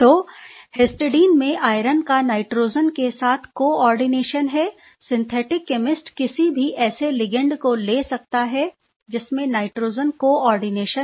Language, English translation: Hindi, So, histidine has nitrogen coordination with iron; synthetic chemist will take any ligand that has nitrogen coordination